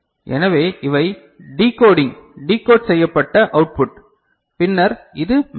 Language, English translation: Tamil, So, these are the decoding decoded output and then this is the memory